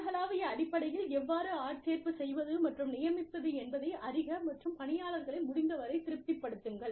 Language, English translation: Tamil, Learn, how to recruit and assign, on a global basis, and keep employees as satisfied, as possible